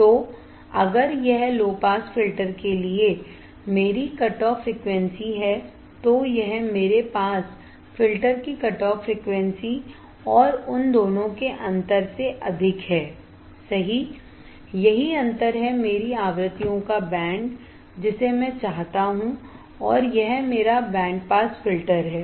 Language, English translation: Hindi, So, if this is my cutoff frequency for low pass filter, this is higher than the cutoff frequency for my pass filter right and the difference between two; that is this difference is my band of frequencies, that I want to and it is my band pass filter